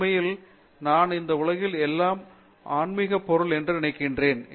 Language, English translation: Tamil, In fact, I say everything in this world is either spiritual or material